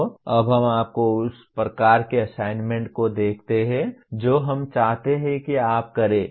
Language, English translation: Hindi, So now let us look at the kind of assignment that you we would like you to do